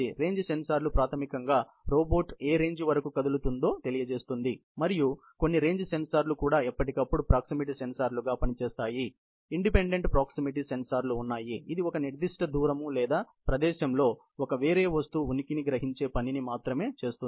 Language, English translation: Telugu, The range sensor is basically, up to what range the robot will move, and some range sensors are also, serving as proximity sensors from time to time, but you know, there are independent proximity sensors, which will only do the job of sensing the presence of a foreign object within a specified distance or space